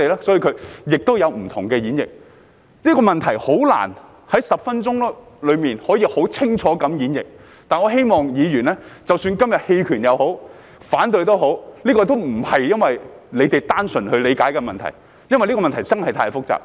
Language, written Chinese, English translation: Cantonese, 所以，會有不同演繹，這問題難以在10分鐘內可以很清楚地演繹，但我希望議員明白，即使他們今天投棄權或反對票，也不是因為他們單純地理解這問題，而是因為這問題真的太複雜。, So there would be different interpretations . It is difficult to interpret this issue clearly in 10 minutes but I hope Members understand that even if they abstain or vote against the motion today it is not because they look at this issue in a simplistic manner but rather because this issue is really too complicated